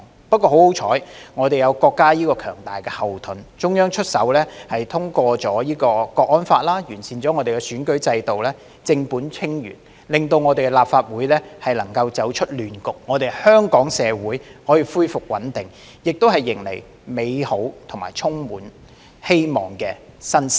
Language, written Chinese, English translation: Cantonese, 不過，幸好我們有國家這個強大後盾，中央出手通過《香港國安法》和完善選舉制度，正本清源，令我們立法會能夠走出亂局，香港社會可以恢復穩定，亦迎來美好和充滿希望的新時代。, Thankfully however we have the strong backing of our country . The Central Authorities stepped in to get the fundamentals right by enacting the National Security Law for HKSAR and improving the electoral system hence enabling our Legislative Council to rise above the chaos and Hong Kong society to restore stability and usher in a wonderful new era full of hope